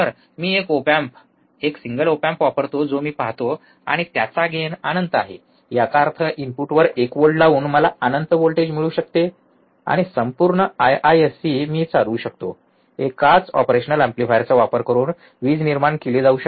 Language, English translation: Marathi, I can use one op amp, one single op amp I see, and since his gain is infinite; that means, applying one volt at the input, I can get infinite voltage, and whole IISC I can run the power can be generated using one single operational amplifier